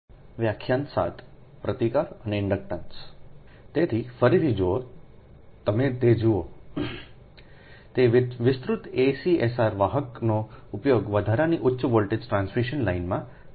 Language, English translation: Gujarati, expanded acsr conductors are used in extra high voltage transmission line, right